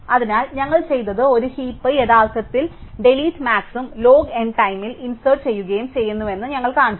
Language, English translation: Malayalam, So, what we have done is, we have shown that a heap actually does both delete max and insert in log N time